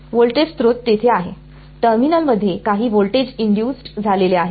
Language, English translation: Marathi, A voltage source there is some voltage induced in the terminal